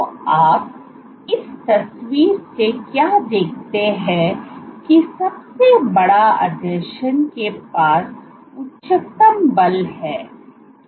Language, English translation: Hindi, So, what you see from this picture is that the biggest adhesion has the highest force